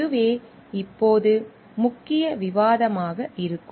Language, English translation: Tamil, This will be the main focus of discussion now